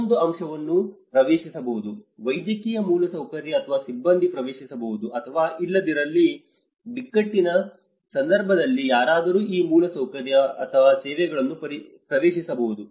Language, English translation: Kannada, Another aspect is accessible: Whether the medical infrastructure or the personnel are accessible to you or not, in the event of crisis can someone access these infrastructure and services